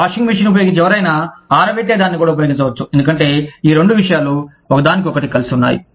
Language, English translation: Telugu, Anybody, who uses a washing machine, can also use a dryer, because these two things, go hand in hand